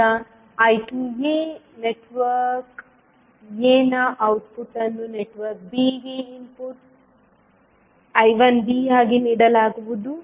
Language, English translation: Kannada, Now the I 2a which is output of network a will be given as input which is I 1b to the network b